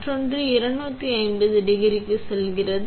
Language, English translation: Tamil, And another goes to 250 degrees